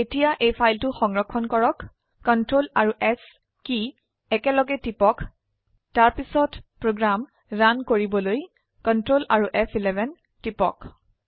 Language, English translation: Assamese, Now save this file ,press Ctrl S key simultaneously then press Ctrl F11 to run the program